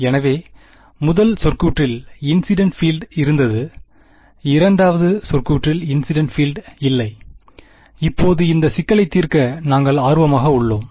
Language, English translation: Tamil, So, the first term had the incident field, the second term had no incident field and we are interested in solving this problem now